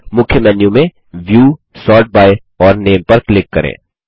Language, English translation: Hindi, From the Main Menu, click on View, Sort by and Name